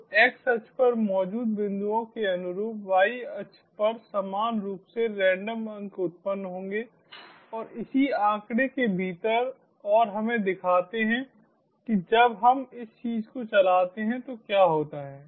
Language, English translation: Hindi, so corresponding to the points on the x axis will have corresponding randomly generated points on the y axis and within this same figure and show, lets see what happens